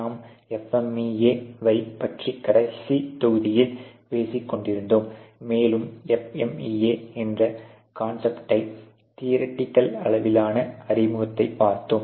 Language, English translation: Tamil, We were talking about FMEA and the last module and we theoretically introduce the concept of FMEA